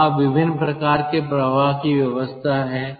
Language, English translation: Hindi, ah, there, different kind of flow arrangements are there